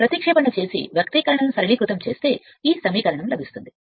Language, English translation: Telugu, If you substitute and simplify the expression will be like this this equation right